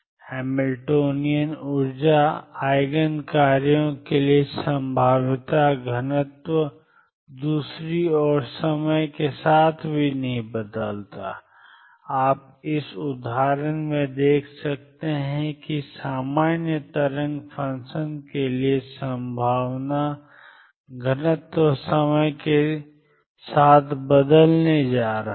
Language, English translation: Hindi, The probability density for Eigen functions of Hamilton Hamiltonian energy Eigen functions do not change with time on the other hand, you can see from this example that the probability density for a general wave function is going to change with time